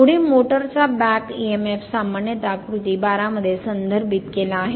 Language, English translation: Marathi, Next is that back emf of a motor generally referred to figure 12